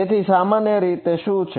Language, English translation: Gujarati, So, in general what is it